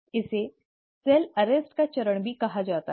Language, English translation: Hindi, This is also called as the phase of cell arrest